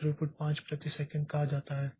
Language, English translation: Hindi, So, throughput is five per second